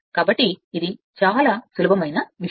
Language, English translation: Telugu, So, this is very simple thing